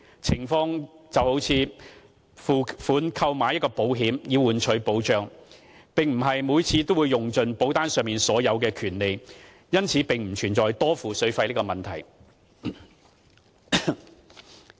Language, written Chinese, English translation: Cantonese, 情況猶如付款購買保險以換取保障，並非每次都會用盡保單上所有的權利，因此不存在多付水費的問題。, The situation resembles paying money for insurance in order to get protection whereby one would not use all the rights listed on the insurance policy every time and so the problem of overpaying water fees does not exist